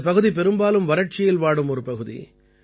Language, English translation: Tamil, This particular area mostly remains in the grip of drought